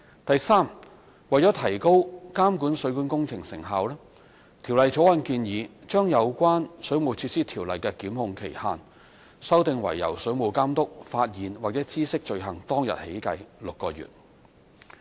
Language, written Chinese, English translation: Cantonese, 第三，為提高監管水管工程成效，《條例草案》建議將有關《水務設施條例》的檢控期限，修訂為由水務監督發現或知悉罪行當日起計6個月。, Thirdly in order to enhance the effectiveness of monitoring of plumbing works the Bill proposes to revise the time limit for prosecution under the Ordinance to six months from the date on which the offence is discovered by or comes to the notice of the Water Authority